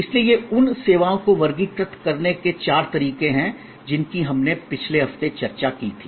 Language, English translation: Hindi, So, these are four ways of classifying services that we discussed last week